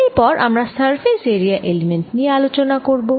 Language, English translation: Bengali, next, let's look at the area element